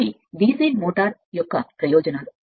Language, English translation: Telugu, These are the advantages for DC motor